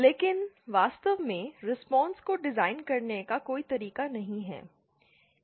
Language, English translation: Hindi, But really there is no way of designing the response